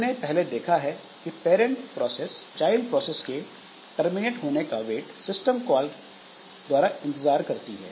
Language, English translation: Hindi, Now, the parent process it was made to wait for the child process to complete by the wait system call